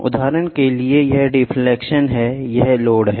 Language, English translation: Hindi, For example, this is deflection, this is load